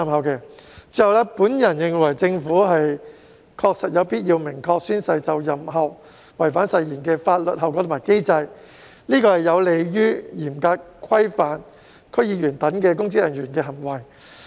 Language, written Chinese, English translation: Cantonese, 最後，我認為政府確實有必要訂明宣誓就任後違反誓言的法律後果及機制，此舉有利於嚴格規範區議員等公職人員的行為。, Lastly I consider it necessary for the Government to set out the legal consequences of breaching the oath after swearing - in as well as the handling mechanism . This will be conducive to strictly governing the conduct of public officers such as DC members